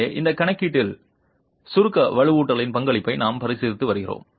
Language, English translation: Tamil, So, in this calculation we are considering the contribution of the compression reinforcement